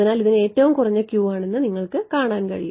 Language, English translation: Malayalam, So, this is you can see this had the lowest Q right